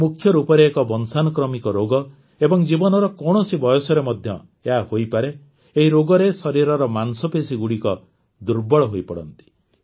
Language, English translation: Odia, It is mainly a genetic disease that can occur at any age, in which the muscles of the body begin to weaken